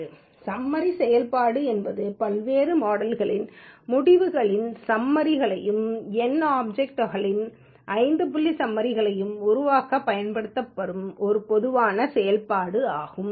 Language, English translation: Tamil, Summary function is a generic function used to produce result summaries of the results of various models and 5 point summaries of numeric r objects